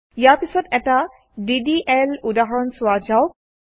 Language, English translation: Assamese, Next let us see a DDL example